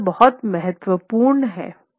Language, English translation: Hindi, So, this is something that is very important